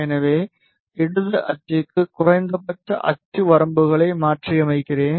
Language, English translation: Tamil, So, let me modify the axis limits minimum for the left axis